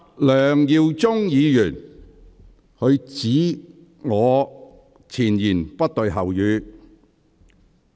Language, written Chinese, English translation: Cantonese, 梁耀忠議員指我前言不對後語。, Mr LEUNG Yiu - chung accused me of making contradictory remarks